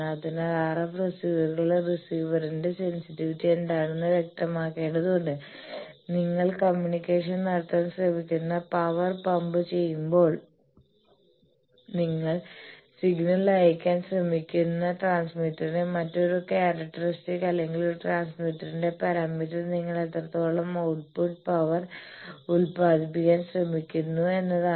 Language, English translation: Malayalam, So, RF receivers they need to characterize what is the sensitivity of the receiver and obviously, when you are pumping power you are trying to communicate, you are trying to send the signal another transmit their characteristic for a transmitter or parameter for a transmitter is how much output power you are trying to generate